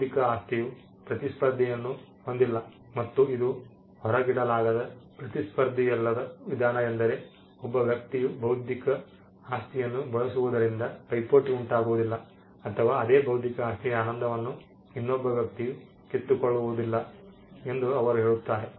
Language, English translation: Kannada, They say intellectual property by it is nature is non rivalrous and it is non excludable, non rivalrous means the use of intellectual property by 1 person does not cause rivalry or does not take away the enjoyment of the same intellectual property by another person